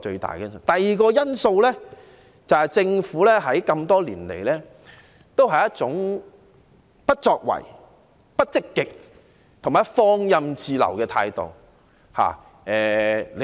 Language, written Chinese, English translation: Cantonese, 第二，是政府這麼多年來，仍抱持一種不作為、不積極、放任自流的態度。, Second the Government has been upholding an attitude of inaction inactivity and laissez - faire for so many years